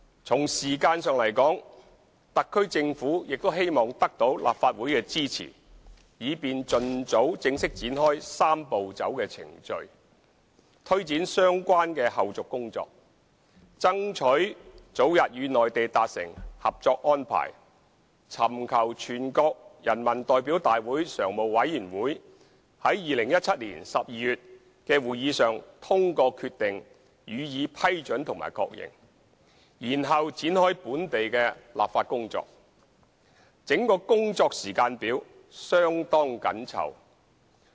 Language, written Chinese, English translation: Cantonese, 從時間上來說，特區政府亦希望得到立法會的支持，以便盡早正式展開"三步走"的程序，推展相關的後續工作，爭取早日與內地達成《合作安排》，尋求全國人民代表大會常務委員會於2017年12月的會議上通過決定予以批准及確認，然後展開本地立法工作，整個工作時間表相當緊湊。, Speaking of the time frame the SAR Government also wishes to obtain the support of the Legislative Council for formally commencing the Three - step Process as early as possible so as to take forward the related follow - up tasks strive to reach a Co - operation Agreement with the Mainland at the earliest opportunity seek approval and endorsement from the Standing Committee of the National Peoples Congress through a decision to be made at its session in December 2017 and commence the local legislative process thereafter . The entire work schedule is very tight